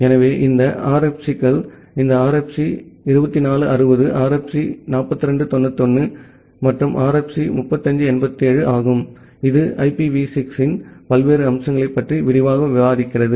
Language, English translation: Tamil, So, this RFC’s are these RFC 2460, RFC 4291 and RFC 3587, this discuss about a various aspects of the IPv6 in details